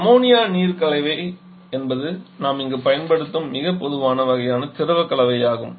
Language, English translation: Tamil, So Ammonia water mixture is a very common kind of working free combination that we use here